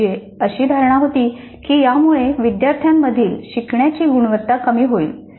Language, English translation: Marathi, They believed that this would reduce the quality of learning by students